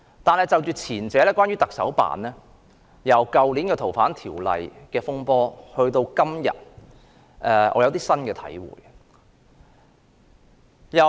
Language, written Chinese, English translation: Cantonese, 但是，關於前者，即行政長官辦公室，由去年《逃犯條例》的風波到今天，我有新的體會。, However regarding the former namely the Chief Executives Office I have had some new thoughts since the controversy surrounding the Fugitive Offenders Ordinance unravelled last year